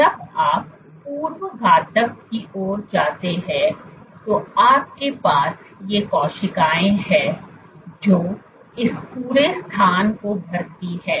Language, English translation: Hindi, When you go to pre malignant, so what you have, you have these cells fill up this entire space